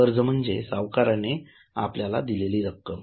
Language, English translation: Marathi, Borrowing refers to the money which the lenders have given you